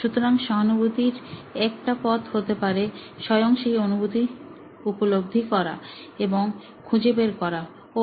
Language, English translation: Bengali, So, one way of empathy could be you yourself going through that experience and figuring out, oh